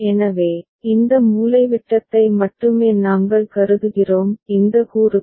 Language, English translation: Tamil, So, we are only considering this off diagonal these elements